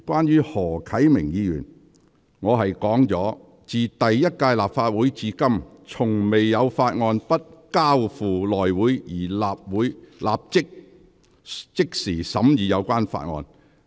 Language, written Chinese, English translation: Cantonese, 就何啟明議員的議案，我指出："自第一屆立法會至今，從未有法案不交付內會而立法會須即時審議有關法案"。, Concerning Mr HO Kai - mings motion I stated that since the first Legislative Council there has never been any case in which a bill is not referred to the House Committee but being scrutinized by the Council immediately instead